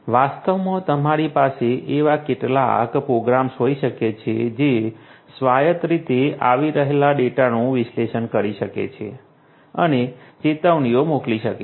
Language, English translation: Gujarati, In fact, you could have some programmes which can autonomously which can analyze the data that are coming in and can send alerts